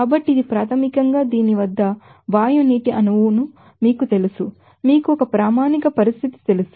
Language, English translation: Telugu, So, this is basically the formation of you know gaseous water molecule at this, you know a standard condition